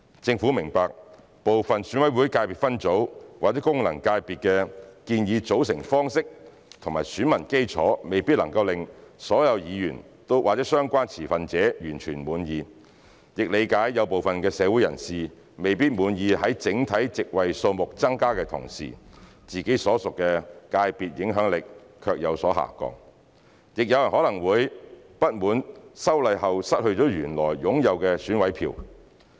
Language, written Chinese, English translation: Cantonese, 政府明白，部分選委會界別分組/功能界別的建議組成方式及選民基礎未必能令所有議員和相關持份者完全滿意，亦理解部分社會人士未必滿意在整體席位數目增加的同時，自己所屬的界別影響力卻有所下降；亦有人可能會不滿修例後失去了原來擁有的選委票。, The Government understands that the proposed methods of composition of some ECSSFCs may not be completely satisfactory to all Members and relevant stakeholders . It also understands that some members of the community may not be satisfied with the declining influence of their sectors while there is an increase in the overall number of seats; some may also be dissatisfied that they may lose the votes from the original EC after the legislative amendments